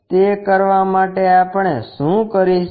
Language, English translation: Gujarati, To do that what we will do